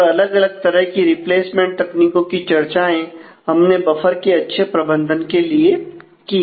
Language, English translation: Hindi, And there needs to be various different smart replacements strategies for good management of this buffer